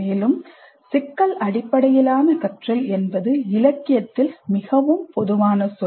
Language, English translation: Tamil, Further, problem based learning is the most common term in the literature